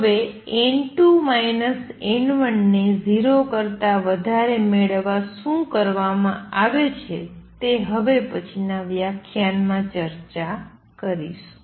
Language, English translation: Gujarati, Now what exactly is done to achieve this n 2 minus n 1 greater than 0, I will discuss in the next lecture